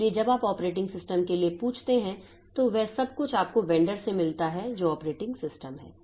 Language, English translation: Hindi, So, everything that you get from the vendor when you ask for an operating system is the operating system